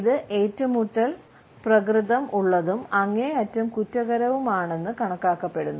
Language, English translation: Malayalam, It is considered to be confrontational and highly offensive